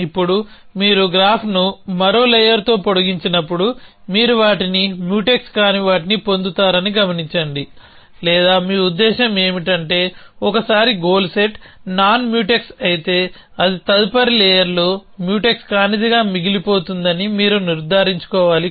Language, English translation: Telugu, Now, notice that when you extend the graph by one more layer, you will still get those things non Mutex or you mean, you need to convinced about this that once a goal set is non Mutex, it will remain non Mutex in the next layer also